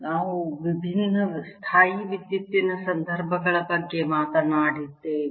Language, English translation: Kannada, we've talked about different electrostatic situations